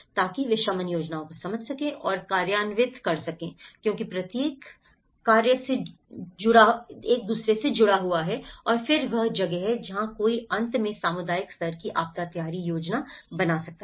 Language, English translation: Hindi, So that, they can understand and implement mitigation plans because each one is connected to and then that is where one can end up draw a community level disaster preparedness plan